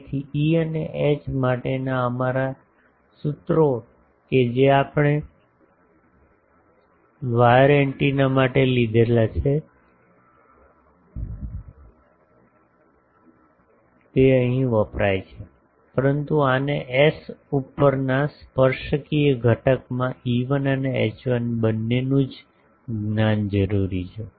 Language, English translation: Gujarati, So, our formulas for E H that we derived for wire antennas can be used here, but this requires knowledge of both E1 and H1 in tangential component over S